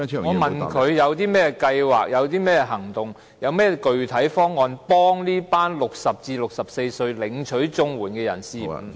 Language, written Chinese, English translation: Cantonese, 我問他有何計劃、行動及具體方案幫助這群60歲至64歲領取綜援的人士......, I asked him what plans actions and concrete proposals are available to help these CSSA recipients aged between 60 and 64